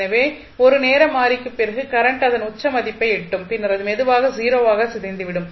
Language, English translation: Tamil, So, that means after 1 time constant the current will reach to its peak value and then it will slowly decay to 0